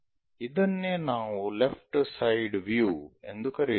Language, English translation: Kannada, This is what we call left side view